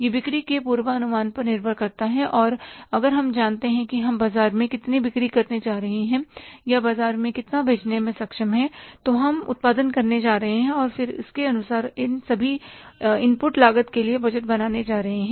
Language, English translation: Hindi, It depends with the forecasting of sales and we know that how much we are going to sell in the market or we are capable of selling in the market, accordingly we are going to produce and then accordingly we are going to budget for the all input cost